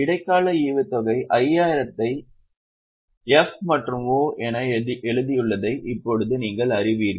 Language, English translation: Tamil, Now you know here we had written interim dividend 5,000 as F and O